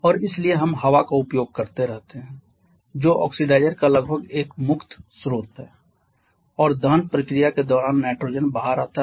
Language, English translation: Hindi, And hence we keep on using air which is almost a free source of oxidizer and during the combustion process when nitrogen comes out as it is